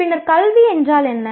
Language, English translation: Tamil, Then what is education